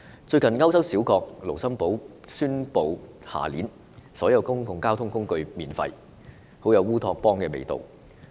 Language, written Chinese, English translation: Cantonese, 最近歐洲小國盧森堡宣布明年起所有公共交通工具免費，很有烏托邦的味道。, Recently a small European country Luxembourg has announced that all public transport services will be provided for free beginning next year which is suggestive of a utopian flavour